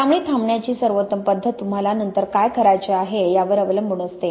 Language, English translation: Marathi, So the best method for stopping really depends on what you want to do afterwards